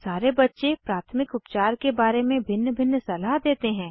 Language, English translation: Hindi, All the children give different opinions about first aid